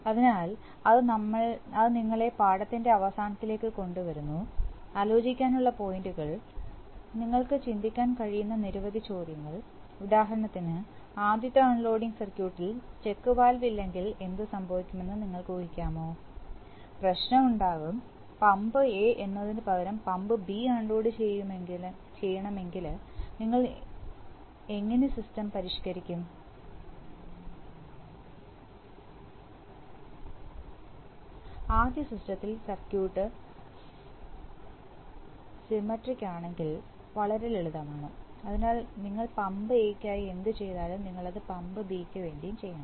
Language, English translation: Malayalam, So that brings us to the end of the lesson, points to ponder, many questions you can think of, for example can you imagine what would happen if the check valve was not present in the first unloading circuit, there will be problem, how would you modify the system if you wanted to unload pump B instead of pump A, in that first system that is very simple if the circuit is very symmetric, so you will have to, whatever you did for pump A, you have to move for pump B